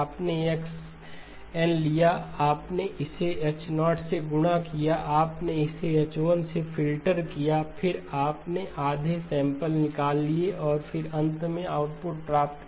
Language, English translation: Hindi, You took X of N, you multiplied it with H0, you filtered it with H1, then you threw away half the samples and then finally obtained the output